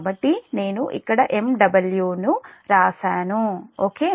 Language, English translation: Telugu, so i have written here megawatt, right